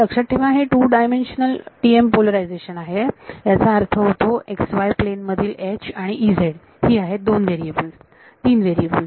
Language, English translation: Marathi, Remember this is 2D T M polarization which means H in a x y plane and E z these are the 2 variables 3 variables